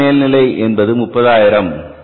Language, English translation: Tamil, Standard overhead was 30,000s